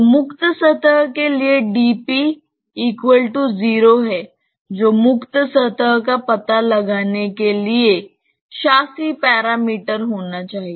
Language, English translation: Hindi, So, for the free surface you must have dp equal to 0 that should be the governing parameter for locating the free surface